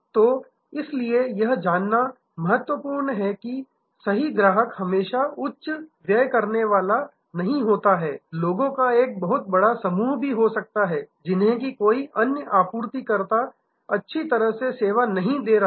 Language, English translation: Hindi, So, therefore, it is important to know that the right customer is not always the high spender, can be a large group of people also that no other supplier is serving well